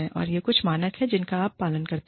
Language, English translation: Hindi, And, these are some of the standards, that you follow